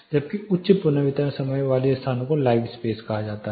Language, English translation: Hindi, Whereas those with higher reverberation time are live spaces